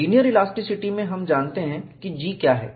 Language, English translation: Hindi, In linear elasticity, we know what is G